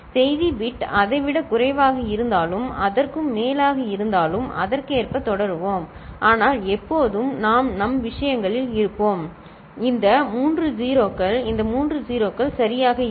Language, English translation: Tamil, If the message bit was less than that, then or more than that we’ll continue accordingly, but always we’ll be in our scheme of things; these three 0s, these three 0s will be there right